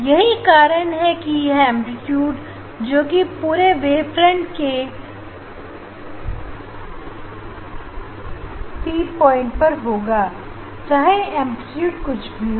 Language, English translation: Hindi, that is why this A amplitude due to the whole wave front at P whoever the amplitude